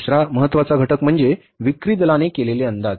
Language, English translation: Marathi, Second important factor is the estimates made by the sales force